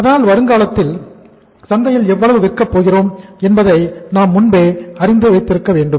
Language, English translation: Tamil, So we should try to look forward in future that how much we are going to sell in the market